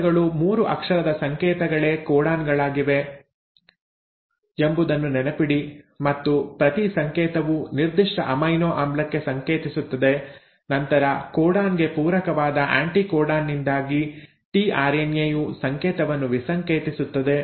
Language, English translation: Kannada, Just remember that the codes are the codons, the 3 letter codes and each code codes for a specific amino acid, and then the code is decoded by the tRNA because of the anticodon which is complementary to the codon